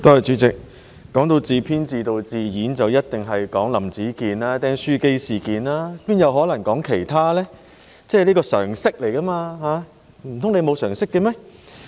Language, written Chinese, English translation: Cantonese, 提到自編自導自演，當然要說"林子健釘書機事件"，沒有可能說其他，這是常識，難道譚文豪議員沒有常識嗎？, Speaking of scripting directing and performing by oneself we certainly have to mention the stapler incident alleged by Howard LAM but not anything else . This is common sense does Mr Jeremy TAM have no common sense at all?